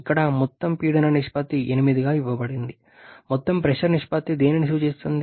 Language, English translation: Telugu, Here overall pressure ratio is given as 8, overall pressure ratio refers to what